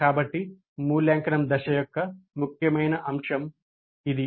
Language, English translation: Telugu, So that is the important aspect of the evaluate phase